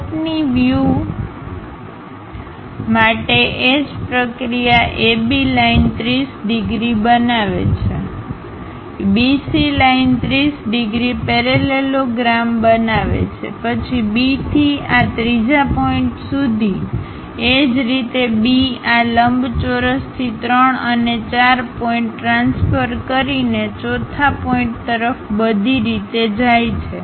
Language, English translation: Gujarati, For top view the same procedure AB line makes 30 degrees, BC line makes 30 degrees, construct the parallelogram; then from B all the way to this third point, similarly B, all the way to fourth point by transferring 3 and 4 points from this rectangle